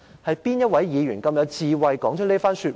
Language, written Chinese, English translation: Cantonese, "是哪位議員這麼有智慧說出這番說話？, Which Member had the wisdom to make such a remark?